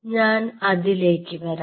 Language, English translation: Malayalam, i will come to that